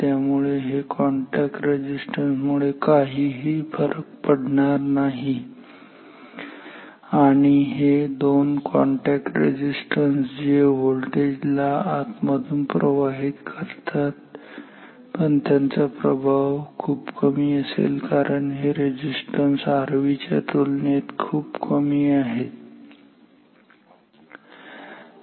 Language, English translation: Marathi, So, these contact resistances do not matter and these two contact resistances which affect which affect this voltage within, but the effect is small because these resistances are much smaller than the R V ok